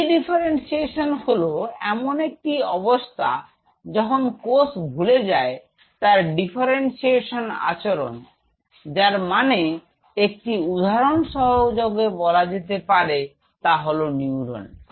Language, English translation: Bengali, De differentiation is a situation, when a cell forgets or loses it is ability of it is differentiated behavior what does the mean say for example, this becomes a neuron